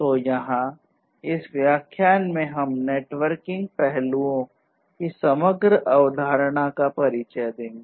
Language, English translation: Hindi, So, here in this lecture we are simply introducing you about the overall concept of the networking aspects